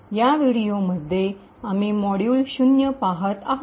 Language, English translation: Marathi, In this video we will be looking at module 0, okay